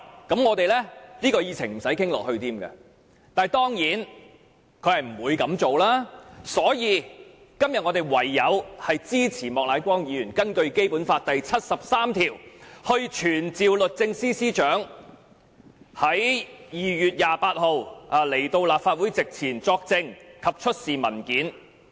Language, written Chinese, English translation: Cantonese, 但是，她當然不會這樣做，所以我們今天唯有支持莫乃光議員根據《基本法》第七十三條動議的議案，傳召律政司司長在2月28日到立法會席前作證及出示文件。, But it is certain that she will not do so . That is why today we have no alternative but to support the motion moved by Mr Charles Peter MOK under Article 73 of the Basic Law to summon the Secretary for Justice to attend before the Council on 28 February to testify and produce documents